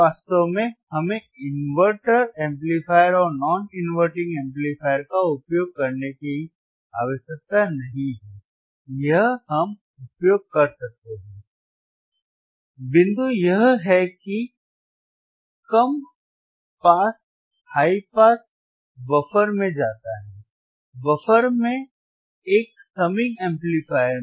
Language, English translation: Hindi, Actually, we areneed not usinge inverting amplifier and non inverting amplifier or we can use, the point is low pass high pass goes to buffer, buffer to a summing amplifier